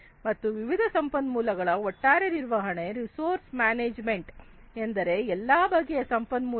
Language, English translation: Kannada, And the overall management of the different resources resource management means all kinds of resources